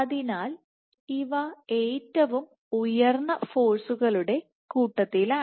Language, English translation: Malayalam, So, these are among the highest forces